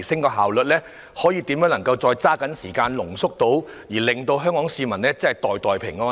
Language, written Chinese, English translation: Cantonese, 如何能夠把所需時間濃縮，讓香港市民可以"袋袋平安"？, How can the processing time be shortened so that the payments can go more smoothly into the pockets of Hong Kong people?